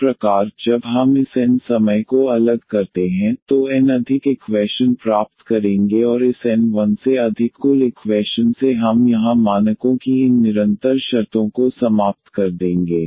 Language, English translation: Hindi, So, we will get n more equations when we differentiate this n times and out of this n plus 1 total equations we will eliminate these constant terms of the parameters here